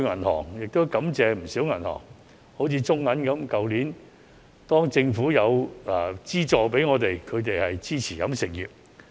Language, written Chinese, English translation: Cantonese, 我在此感謝不少銀行，例如中國銀行在去年政府提供資助時，十分支持飲食業。, I would like to thank many banks such as the Bank of China for their strong support to the catering industry when the Government provided subsidies to the industry last year